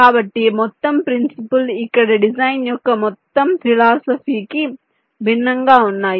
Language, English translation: Telugu, so the entire principle, ah, the entire philosophy of design here is different